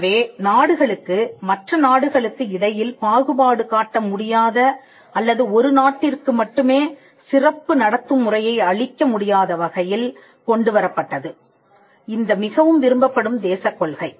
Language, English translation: Tamil, So, the most favoured nation principle brought in a way in which countries could not discriminate other countries or countries could not have a special treatment for one country alone